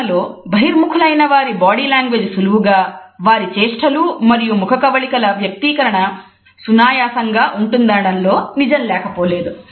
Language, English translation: Telugu, It is true that those of us who are extroverts use body language in a much more relaxed manner our gestures and postures would be more expressive